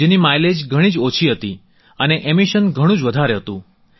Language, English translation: Gujarati, Its mileage was extremely low and emissions were very high